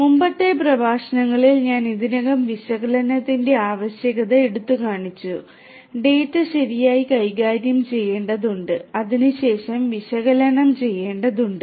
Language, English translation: Malayalam, In the previous lectures I already highlighted the need for analytics, the data will have to be managed properly will have to be analysed thereafter